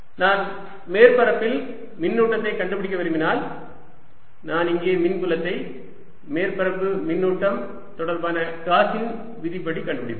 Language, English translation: Tamil, if i want to find the charge on the surface, i will find the electric field here and by gauss's law, related to the surface charge